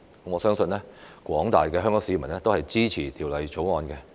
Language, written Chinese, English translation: Cantonese, 我相信廣大香港市民也支持《條例草案》。, I believe that the general public in Hong Kong supports the Bill